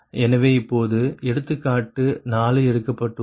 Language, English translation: Tamil, so now say an example four